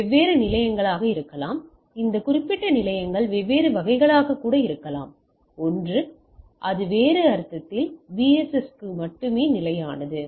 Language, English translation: Tamil, So, there can be different the stations, this particular stations can be different type, one is it can be stationary that in other sense it is within the BSS only